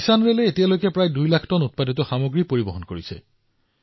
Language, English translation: Assamese, The Kisan Rail has so far transported nearly 2 lakh tonnes of produce